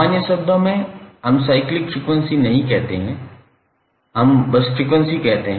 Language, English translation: Hindi, In general terms we do not say like a cyclic frequency, we simply say as a frequency